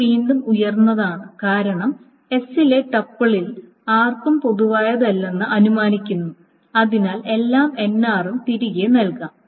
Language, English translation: Malayalam, This is again upper bound because it is assuming that none of the tuples in s is common with r so all nr may be written